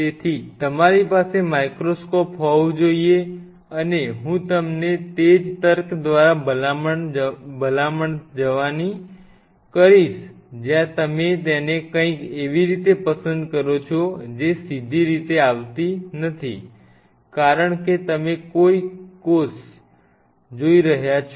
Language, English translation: Gujarati, So, you have to have a microscope and I will recommend you going by the same logic where you want to put it prefer something which is not coming in the direct way, because you are viewing the cell